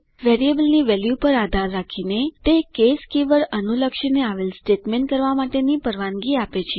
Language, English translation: Gujarati, Depending on the value of a variable, it allows to perform the statement corresponding to the case keyword